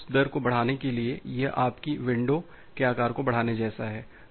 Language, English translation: Hindi, So, to increase that rate, it is just like your increasing the window, window size